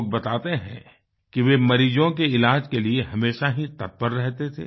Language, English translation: Hindi, People tell us that he would be ever ready & eager, when it came to treatment of patients